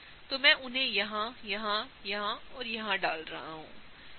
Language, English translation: Hindi, So, I am gonna put them here, here, here, and here